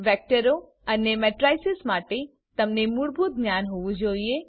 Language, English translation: Gujarati, You should have Basic knowledge about Vectors and Matrices